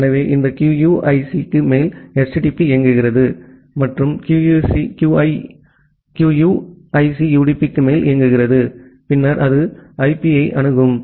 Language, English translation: Tamil, So, HTTP runs on top of this QUIC; and QUIC runs on top of the UDP, and it then access IP